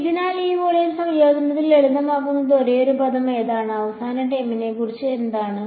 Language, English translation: Malayalam, So, the only possible term that might simplify in this volume integration is which one, what about the very last term